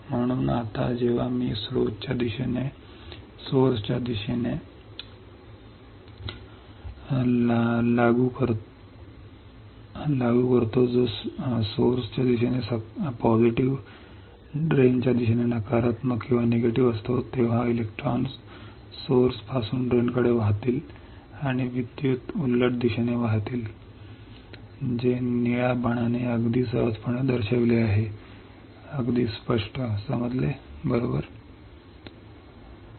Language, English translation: Marathi, So, that now when I apply a source to drain voltage which is positive towards source, negative towards drain then the electrons will flow from source to drain and the current will flow in the reverse direction, which is shown by the blue arrow all right easy understood very clear right